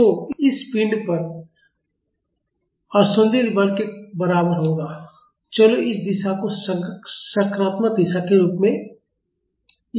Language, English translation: Hindi, So, the unbalanced force on this body will be equal to let us take this direction as the positive direction